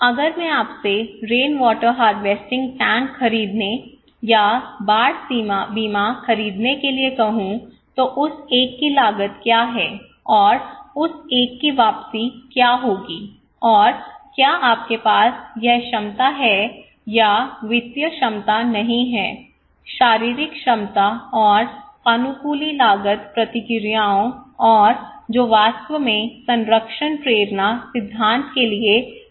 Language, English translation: Hindi, Like if I ask you to buy a rainwater harvesting tank or buy a flood insurance what are the cost of that one and what would be the return of that one and whether you have this capacity or not financial capacity, physical capacity and minus the cost of adaptive responses okay and which is actually the coping appraisal for the protection motivation theory